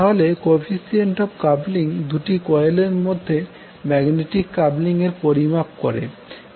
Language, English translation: Bengali, So coefficient of coupling is the measure of magnetic coupling between two coils